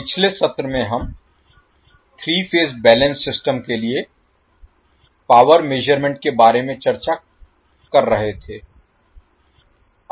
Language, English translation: Hindi, In last session we were discussing about the power measurement for a three phase balanced system